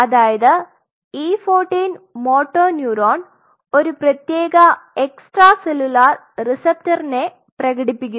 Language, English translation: Malayalam, So, at around E 14 there are motor neurons most of the motor neuron expresses are very unique receptors